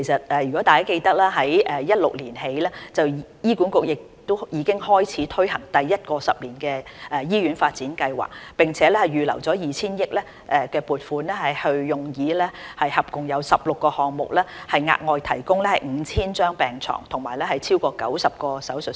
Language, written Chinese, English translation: Cantonese, 大家記得，自2016年起醫管局已開始推行第一個十年醫院發展計劃，並預留 2,000 億元撥款，用以進行合共16個項目，以額外提供逾 5,000 張病床和超過90個手術室。, As Members recall HA commenced in 2016 implementation of the first 10 - year Hospital Development Plan HDP for which 200 billion had been earmarked for a total of 16 projects to provide over 5 000 additional public hospital beds and more than 90 additional operating theatres